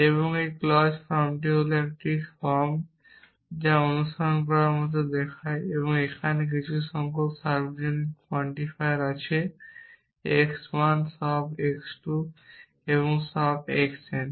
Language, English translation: Bengali, And a clause form is a form which looks like follow as follows at there is some number of universal quantifiers x 1 all x 2 all x n